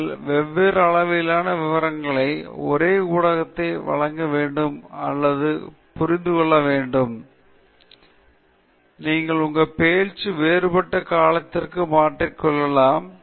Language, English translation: Tamil, And you should understand that you can present the same content with different levels of detail, and therefore, you can adjust your talk to differing durations